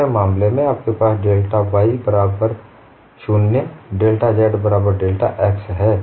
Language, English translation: Hindi, The second case you have delta y equal to 0 delta z equal to delta x, so it varies like this